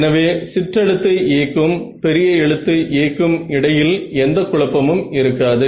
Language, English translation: Tamil, So, that the there is no confusion between lower case a and upper case a ok